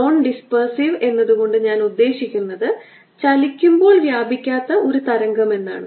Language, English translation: Malayalam, by non dispersive i mean a wave that does not distort as it moves